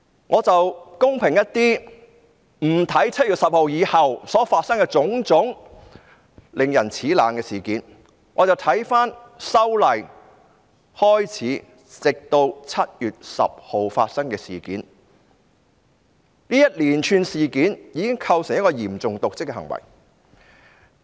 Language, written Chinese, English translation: Cantonese, 我會公平一點，不看7月10日後所發生的種種令人齒冷的事件，只看由修例開始直至7月10日發生的事件，這一連串事件已構成嚴重瀆職行為。, I will be fair and skip all the incidents that took place after 10 July―incidents that aroused ones scorn . I will only look at the incidents that occurred from the beginning of the proposed legislative amendments to 10 July―this series of incidents has already constituted serious dereliction of duty